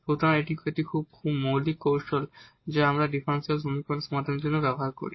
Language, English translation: Bengali, So, this is one of the very basic techniques which we use for solving differential equations